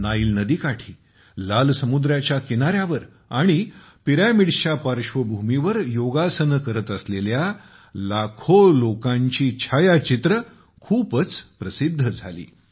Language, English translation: Marathi, The pictures of lakhs of people performing yoga on the banks of the Nile River, on the beaches of the Red Sea and in front of the pyramids became very popular